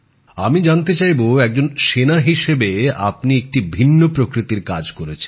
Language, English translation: Bengali, I would like to know as a soldier you have done a different kind of work